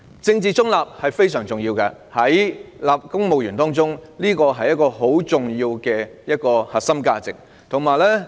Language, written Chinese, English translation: Cantonese, 政治中立非常重要，是公務員十分重要的核心價值。, Political neutrality is very important and it is also a core value of huge importance to civil servants